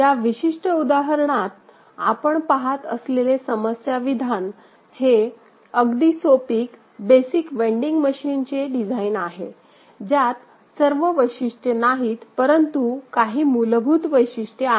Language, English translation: Marathi, In this particular example, the problem statement that we have placed is design of a very simplified, basic vending machine not all the features are there, but some of the basic features are there